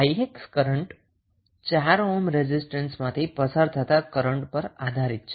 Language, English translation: Gujarati, Ix is depending upon the current which is flowing through the 4 ohm resistance